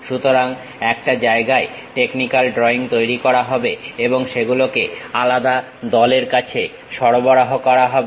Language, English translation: Bengali, So, technical drawings will be prepared at one place and that will be supplied to different teams